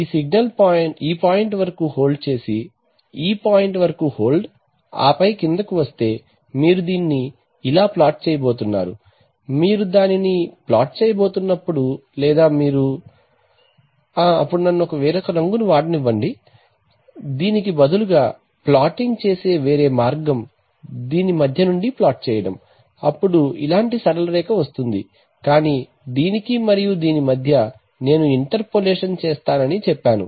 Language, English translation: Telugu, As if this signal is held up to this point and then held upto this point and then comes down so are you going to plot it like this, when you are going to plot it or are you going to plot it like this, then let me use a different color, the alternate way of plotting it would be to plot it from between this and this it is a straight line like this, but between this and this you would say that I will interpolate I will do a linear interpolation